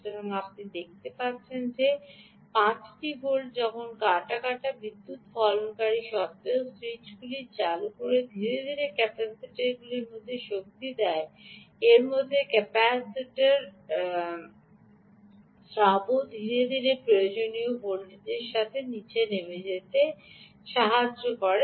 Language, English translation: Bengali, so you can see that five volts ah when harvested switches on, in spite of energy harvester putting the energy slowly into the capacitor ah in meanwhile capacitor discharging, also slowly down to whatever ah required